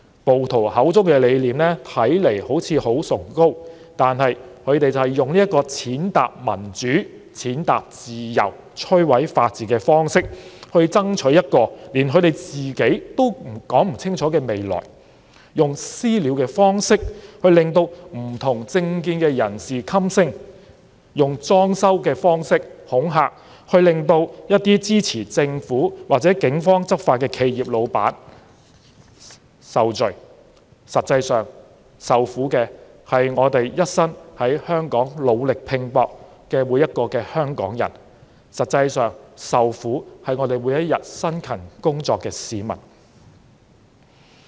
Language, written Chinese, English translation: Cantonese, 暴徒口中的理念看似很崇高，但他們用這種踐踏民主、踐踏自由、摧毀法治的方式去爭取連他們都說不清楚的未來，用"私了"的方式令政見不同的人士噤聲，用"裝修"的方式恐嚇支持政府或警方執法的企業，實際受苦的是一生在香港努力拼搏的每個香港人，是每天辛勤工作的市民。, The ideas of the rioters seem noble but they are fighting for a future they cannot even spell out clearly by means of trampling upon democracy and freedom and destroying the rule of law . They silent people with different political views by mobbing them and threaten companies supporting the Government or Polices law enforcement by vandalism . The actual victims are Hong Kong people who working hard their entire lives in Hong Kong and toiling with industry every day